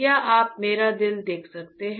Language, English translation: Hindi, Can you see on my heart please